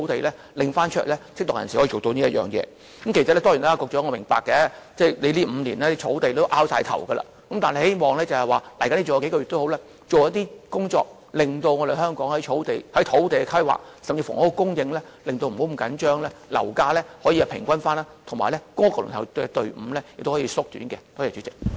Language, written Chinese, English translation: Cantonese, 當然，我也明白，在這5年間，土地問題已令局長非常苦惱，但希望他在餘下數個月的任期，做一些工作，令香港有適當的土地規劃，房屋供應不要過於緊張，樓價可以平穩，以及公屋輪候隊伍可以縮短。, I know very well that the land problem has caused quite a headache to the Secretary over the past five years . But I still hope that in the remaining months of his office he can make some efforts to formulate appropriate land planning for Hong Kong so that the tight housing supply can be eased property prices stabilized and the waiting queue for PRH shortened